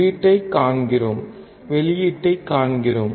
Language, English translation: Tamil, We see input; we see output